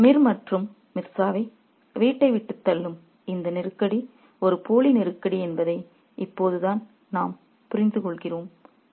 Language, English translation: Tamil, Now, only later we realize that this crisis that pushes Mir and Mirza away from the home is a fake crisis